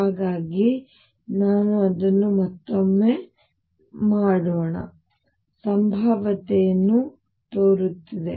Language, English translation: Kannada, So, let me make it again, the potential looks like